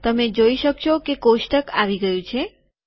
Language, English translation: Gujarati, You can see that the table has come